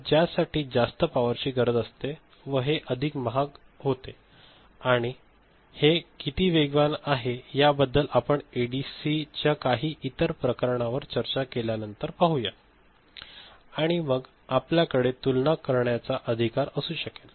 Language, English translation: Marathi, So, for which power requirement is more it becomes more expensive also and regarding how fast it is some numbers we shall see later when we discuss some other types of ADC and then we can have a comparison right